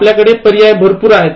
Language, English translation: Marathi, So, here you have huge choice